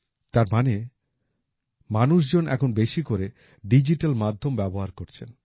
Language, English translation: Bengali, That means, people are making more and more digital payments now